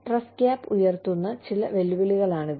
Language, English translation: Malayalam, Some challenges, that are posed by the trust gap